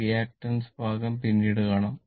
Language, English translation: Malayalam, Reactance part we will see later